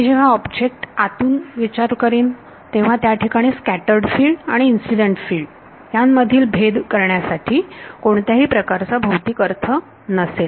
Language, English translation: Marathi, Once I am inside the object, there is no real physical meaning to make this distinction, what is scattered field, what is incident field